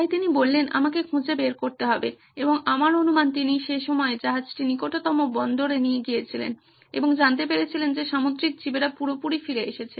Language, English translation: Bengali, So he said, I have to find out and he took it to the nearest shipyard I guess at the time and found out that marine life was back in full flow